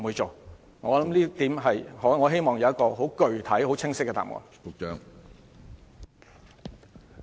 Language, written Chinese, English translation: Cantonese, 就這一點，我希望有具體、清晰的答覆。, I hope that the Government will give us a clear and definite answer